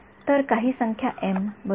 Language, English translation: Marathi, So, some number n right